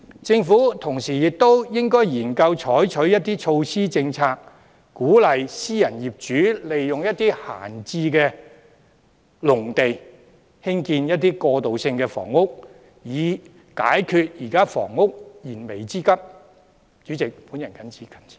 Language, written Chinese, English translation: Cantonese, 政府同時亦應研究採取措施和政策，鼓勵私人業主利用閒置農地興建過渡性房屋，以解決現時房屋需求的燃眉之急。, Meanwhile the Government should study the adoption of measures and policies to encourage private owners to use idle farmland for transitional housing construction so as to solve the pressing need for housing